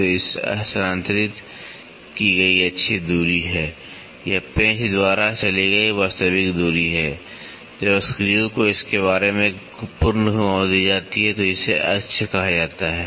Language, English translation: Hindi, So, it is the axial distance moved it is the actual distance moved by the screw, when the screw is given one complete revolution about it is axis is called the lead